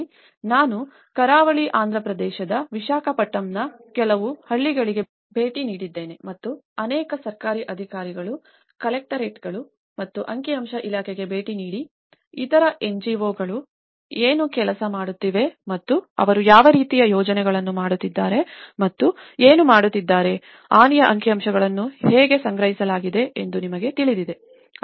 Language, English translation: Kannada, So, I visited some of the villages in Visakhapatnam which is in the coastal Andhra Pradesh and visited many of the government officials, the collectorates and the statistical department to see what other NGOs are working on and what kind of projects they are doing on and what how the damage statistics have been gathered you know